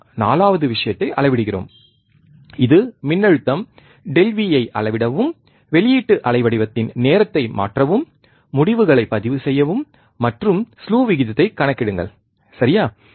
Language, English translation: Tamil, We are measuring the 4th point which is this one, measure the voltage delta V, and time change delta t of output waveform, and record the results and calculate the slew rate, alright